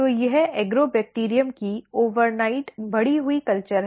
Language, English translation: Hindi, So, this is the overnight grown culture of Agrobacterium